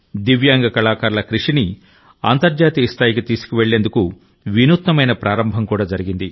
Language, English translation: Telugu, An innovative beginning has also been made to take the work of Divyang artists to the world